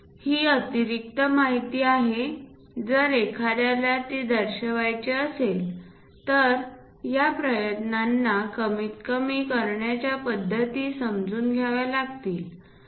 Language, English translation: Marathi, These are the extra information if we are going to show it understand a practices to minimize these efforts